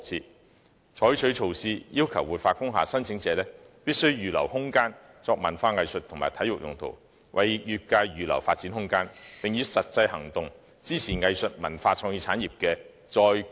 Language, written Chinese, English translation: Cantonese, 當局應採取措施，要求活化工廈申請者預留空間作文化藝術及體育用途，為業界預留發展空間，以實際行動支持藝術文化創意產業的"再工業化"。, The authorities should take measures to require applicants for revitalizing industrial buildings to reserve spaces for cultural arts and sports purposes . In this way the Government can support the re - industrialization of arts cultural and creative industries with concrete action by reserving room for the development of the industries concerned